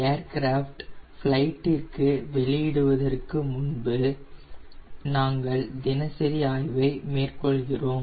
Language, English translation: Tamil, before releasing the aircraft of flight, we carry out a daily inspection